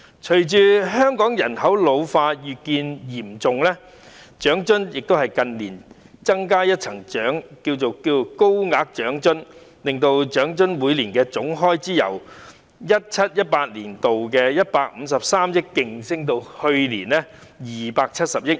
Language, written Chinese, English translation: Cantonese, 隨着香港人口老化越見嚴重，政府近年增加一項"高額長津"，每年在長津方面的總開支由 2017-2018 年度的153億元急升至去年的270億元。, As the ageing problem is aggravating in Hong Kong the Government introduced the Higher OALA in recent years . The annual total expenditure on OALA has surged rapidly from 15.3 billion in 2017 - 2018 to 27 billion last year